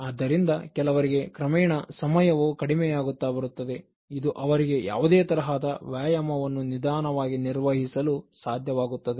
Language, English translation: Kannada, So, for some people the gradual decrease in time, so that can help them to slowly manage any form of exercise